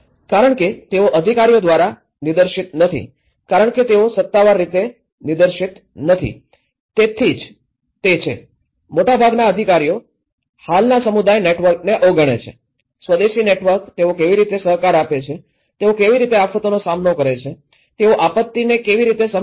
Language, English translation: Gujarati, Because they are not directed by the authorities because they are not officially directed, so that is where, most of the official set up overlooks this existing community networks; the indigenous networks, how they cooperate, how they face the disaster, how they understand the disaster